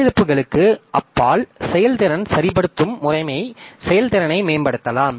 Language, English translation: Tamil, Beyond crashes, performance tuning can optimize system performance